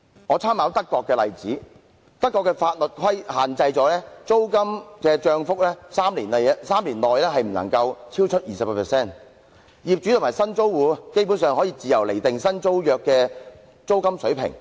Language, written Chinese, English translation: Cantonese, 我參考德國的例子，德國的法律限制租金漲幅在3年內不可以超出 20%， 業主和新租戶基本上可以自由釐定新租約的租金水平。, I have made reference to the German example . German laws stipulate that any rental increase shall not be more than 20 % within three years and landlords and new tenants can basically determine the rents of new leases as they wish